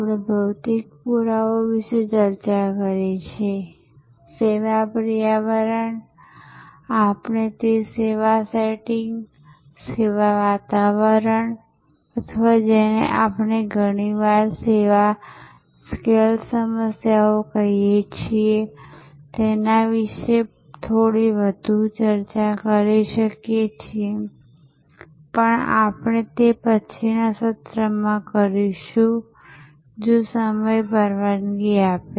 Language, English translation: Gujarati, We have discussed about process another P, we have discussed about people another P, we have discussed about physical evidence, the service environment, we might discuss a little bit more about those service setting, service environment or what we often call service scale issues in a later session, if time permits